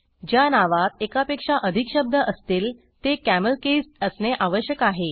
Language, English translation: Marathi, Names that contain more than one word should be camelcased